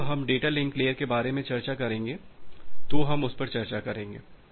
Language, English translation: Hindi, We will discuss that in details when we discuss about the data link layer